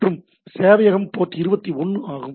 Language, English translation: Tamil, So, it is the default port of port 21